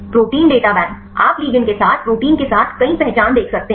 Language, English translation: Hindi, Protein Data Bank; you can see several identities with the protein with ligands